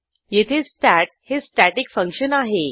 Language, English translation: Marathi, Here we have a static function stat